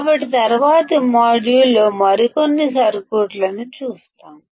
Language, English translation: Telugu, So, we will see few other circuits in the next module